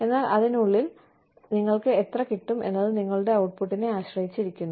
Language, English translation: Malayalam, But then, within that also, how much do you get, depends on your output